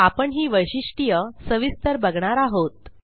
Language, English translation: Marathi, We will look into each of these features in detail